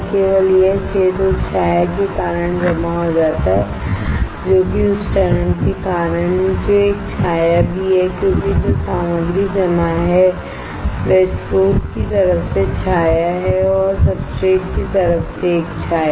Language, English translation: Hindi, Only this area gets deposited because of the shadow that is because of the step that is a shadow also because of the material that is deposited there is a shadow from the source right and from the substrate side